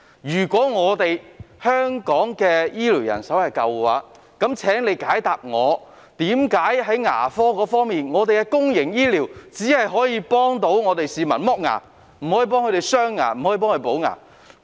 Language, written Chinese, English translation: Cantonese, 如果香港醫療人手足夠，請問在牙科服務中，為何公營醫療只能為市民剝牙，而不可為他們鑲牙或補牙呢？, If there is sufficient healthcare manpower in Hong Kong why public dental services merely provide tooth extraction service but not crowning or fillings?